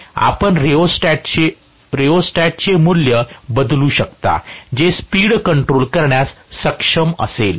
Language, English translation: Marathi, You can vary the rheostat value, that will be able to control the speed